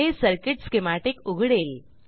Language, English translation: Marathi, This will open the circuit schematic